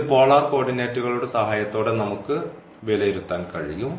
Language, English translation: Malayalam, So, we are talking about the polar coordinate